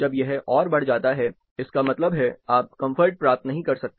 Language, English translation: Hindi, When it further increases, this means, you cannot attain comfort